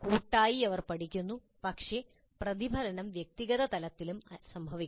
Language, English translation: Malayalam, Collectively they learn but this reflection must occur at individual level also